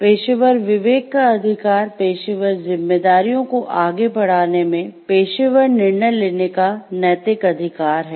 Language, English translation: Hindi, The right of professional conscience is the moral right to exercise professional judgment in pursuing professional responsibilities